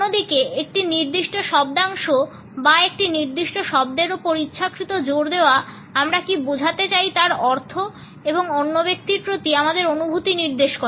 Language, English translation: Bengali, On the other hand the deliberate stress on a particular syllable or on a particular word communicates our meanings and indicates our feelings towards other person